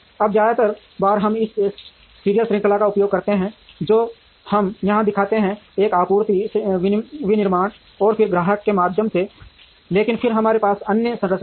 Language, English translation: Hindi, Now, most of the times we use this serial chain which we show here, through one supplier manufacturing and then the customer, but then we have other structures